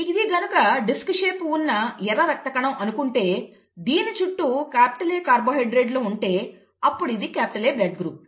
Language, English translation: Telugu, So if this is the red blood cell disc shaped red blood cell, if it has all A carbohydrates being expressed then it is blood group A